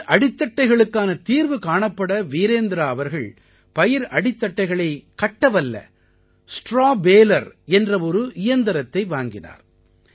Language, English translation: Tamil, To find a solution to stubble, Virendra ji bought a Straw Baler machine to make bundles of straw